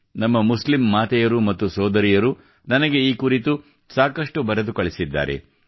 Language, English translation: Kannada, Our Muslim mothers and sisters have written a lot to me about this